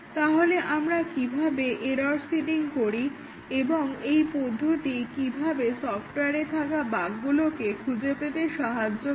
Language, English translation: Bengali, So, how do we do the error seeding and how does it help us determine the number of bugs in the software